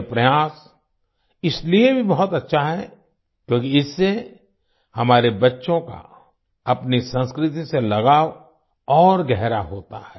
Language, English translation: Hindi, This effort is very good, also since it deepens our children's attachment to their culture